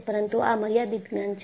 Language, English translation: Gujarati, But, the knowledge is limited